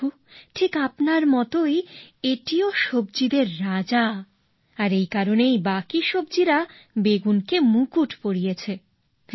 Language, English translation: Bengali, Lord, just like you this too is the king of vegetables and that is why the rest of the vegetables have adorned it with a crown